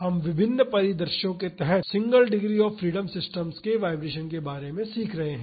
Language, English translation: Hindi, We have been learning about the vibrations of single degree of freedom systems under various scenarios